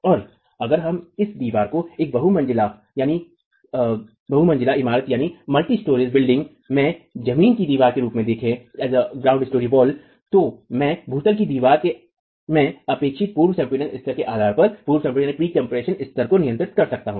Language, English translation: Hindi, So, if we were to look at this wall as a ground story wall in a multi storied building, then I can regulate the pre compression level based on what is the expected pre compression level in the ground story wall